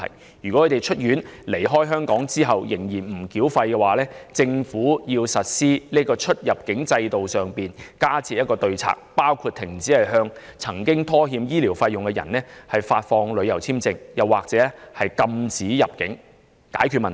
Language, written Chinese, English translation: Cantonese, 假如他們在出院離開香港後仍不繳清欠費的話，政府應就出入境方面加設對策，包括停止向曾拖欠醫療費用的人簽發旅遊簽證或禁止其入境，以杜絕問題。, It should put in place additional immigration measures against those who still have not settle all defaulted payments after leaving Hong Kong including not issuing tourist visas to those persons or prohibiting them from entering Hong Kong in order to uproot the problem